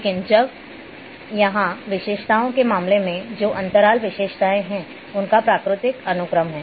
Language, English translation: Hindi, But here now in case of attributes, which are interval attributes have natural sequence